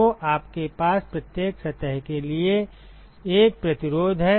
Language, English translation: Hindi, So, you have 1 resistance for every surface